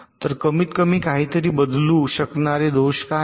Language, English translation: Marathi, so what are the faults which can change at least some thing